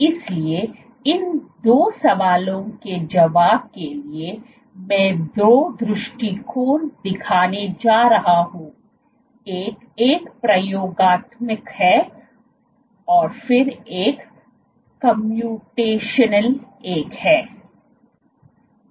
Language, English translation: Hindi, So, to answer these two questions I am going to show two approaches one is an experimental one and then one is the computational one